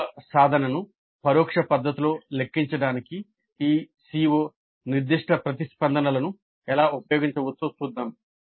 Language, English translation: Telugu, Then let us see how we can use this CO specific responses to compute the attainment of the Cs in an indirect fashion